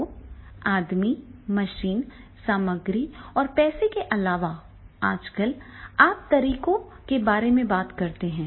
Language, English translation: Hindi, So, in addition to the main machine material and money, nowadays we talk about the methods